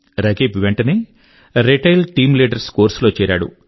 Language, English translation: Telugu, Rakib immediately enrolled himself in the Retail Team Leader course